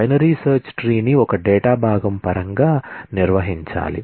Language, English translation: Telugu, The binary search tree needs to be organized in terms of one data component